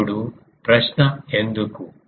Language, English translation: Telugu, Now question is why